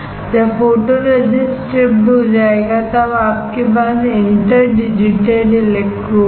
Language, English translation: Hindi, When photoresist is stripped off you have interdigitated electrodes